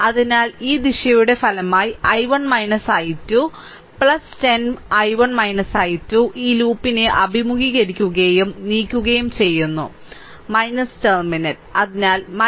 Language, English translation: Malayalam, So, resultant in this direction is i 1 minus i 2, so plus 10 i 1 minus i 2 and encountering and moving this loop so minus terminal plus so minus 30 i 1 is equal to 0